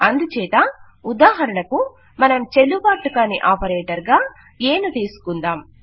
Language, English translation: Telugu, So, for example lets take a which is not a valid operator